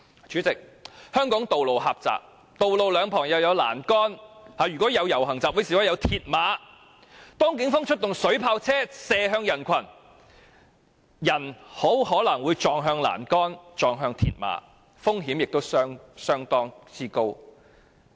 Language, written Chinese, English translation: Cantonese, 主席，香港的道路狹窄，而道路兩旁亦裝有欄杆甚至鐵馬，所以如果警方在遊行集會示威時出動水炮車射向人群，便很可能會有人撞向欄杆或鐵馬，這是相當危險的。, President streets in Hong Kong are narrow . There are railings and even mills barriers on both sides . Thus if the Police fire water cannons at the crowd during assemblies and protests there are chances for people to hit the railings or mills barriers because of the water jets